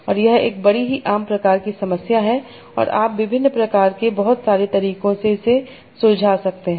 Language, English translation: Hindi, And you see this is a very generic kind of problem and you can use a lot of different methods for solving that